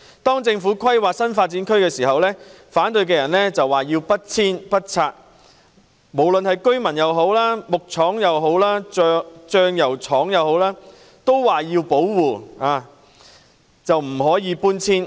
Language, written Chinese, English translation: Cantonese, 當政府規劃新發展區時，反對者說要不遷不拆，無論是居民、木廠或醬油廠均要保護，不可搬遷。, When the Government made planning of new development areas the opponents said no removal and no demoltion and that the residents the woodwork factory or the sauce factory all had to be protected but not relocated